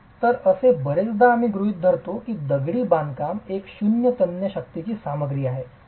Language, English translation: Marathi, So it is very often we assume that masonry is a zero tensile strength material